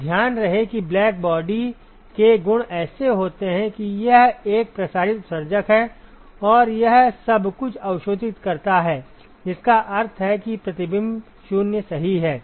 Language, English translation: Hindi, So, keep in mind that the properties of black body are such that; it is a diffuse emitter and it absorbs everything which means reflection is 0 right